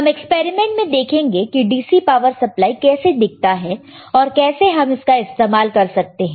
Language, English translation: Hindi, We will see in this set of experiments, how the DC power supply looks like and how we can use DC power supply